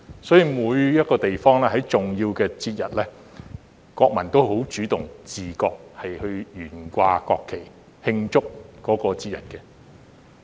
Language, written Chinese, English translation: Cantonese, 所以，每個地方在重要節日，國民也十分主動和自覺地懸掛國旗來慶祝。, Therefore in every place on major festivals the people are very active in flying the national flags in celebration on their own accord